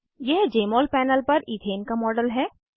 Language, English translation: Hindi, Here is the Jmol panel with a model of ethane